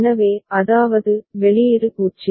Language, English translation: Tamil, So, which is, output is generated 0